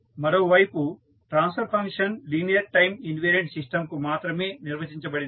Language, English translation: Telugu, While transfer function on the other hand are defined only for linear time invariant system